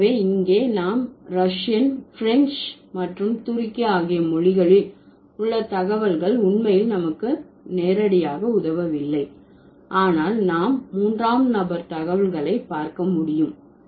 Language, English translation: Tamil, So, here the data that we have for Russian, French and Turkish doesn't really help us directly, but we can look at the third person data